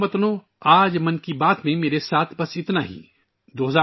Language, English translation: Urdu, My dear countrymen, that's all with me today in 'Mann Ki Baat'